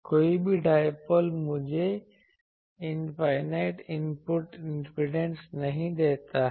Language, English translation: Hindi, No is in no dipole gives me infinite input impedance